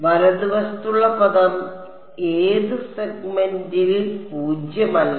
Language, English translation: Malayalam, The term on the right hand side is non zero in the eth segment